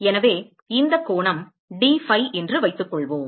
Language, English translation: Tamil, So supposing this angle is dphi